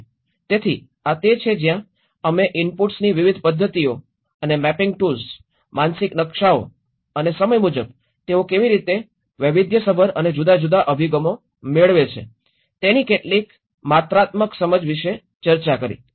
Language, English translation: Gujarati, So this is where, we discussed about different methods of interviews and some of the quantitative understanding from the mapping tools, mental maps, and by time wise, how they varied and different approaches